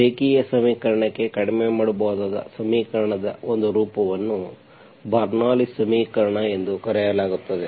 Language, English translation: Kannada, One form of the equation that can be reduced to linear equation is called Bernoulli s equation